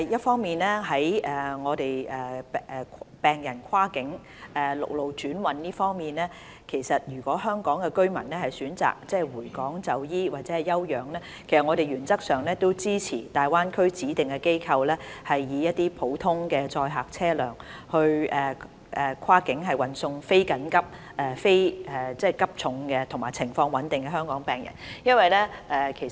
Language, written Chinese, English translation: Cantonese, 關於病人跨境陸路轉運方面，如果香港居民選擇回港就醫或休養，我們原則上支持大灣區的指定機構，以普通載客車輛跨境運送非緊急、非急重及病情穩定的香港病人回港。, Regarding cross - boundary land transfer of patients if Hong Kong residents choose to return to Hong Kong for treatment or recuperation we in principle support cross - boundary transfer of non - urgent non - critical Hong Kong patients with stable conditions to Hong Kong using ordinary passenger vehicles by designated institutions in the Greater Bay Area